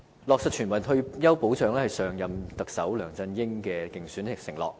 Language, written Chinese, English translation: Cantonese, 落實全民退休保障是上一任特首梁振英的競選承諾。, The implementation of universal retirement protection was an election pledge made by former Chief Executive LEUNG Chun - ying